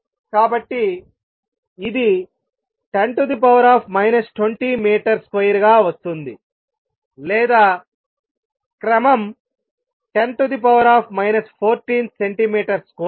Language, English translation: Telugu, So, this comes out be 10 raise to be minus 20 meter square or of the order of 10 raise to minus 14 centimeter square